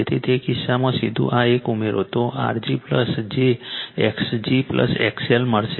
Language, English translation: Gujarati, So, in that case you directly add this one, you will get R g plus j x g plus X L